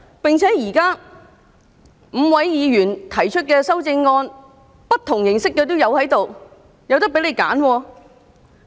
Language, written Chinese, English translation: Cantonese, 而且，現在5位議員所提出的修正案，種種不同形式都有，你們大可以選擇。, Also these five amendments proposed by Members cover various aspects . You may make your own choice